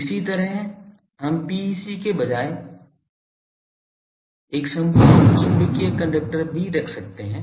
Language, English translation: Hindi, Similarly, we have a we can also put instead of PEC a perfect magnetic conductor